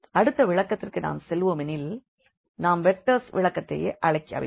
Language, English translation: Tamil, So, now coming to the next interpretation which we call the vectors interpretation